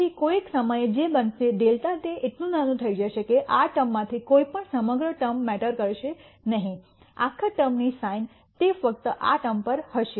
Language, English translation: Gujarati, So, at some point what will happen is delta will become so small that none of these terms will matter the sign of the whole sum will be only depending on this term here